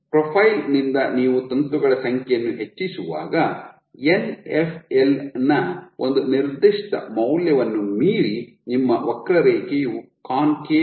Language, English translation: Kannada, So, from the profile you see that as you increase the number of filaments, beyond a certain value of Nfl your curve is concave